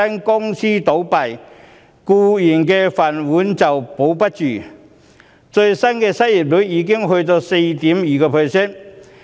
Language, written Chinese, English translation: Cantonese, 公司倒閉，僱員"飯碗"不保，最新的失業率已達到 4.2%。, With companies closing down employees lost their jobs . The latest unemployment rate has reached 4.2 %